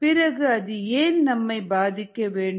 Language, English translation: Tamil, so why should it bother us